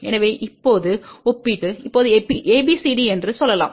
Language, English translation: Tamil, So, again now comparison let us say now ABCD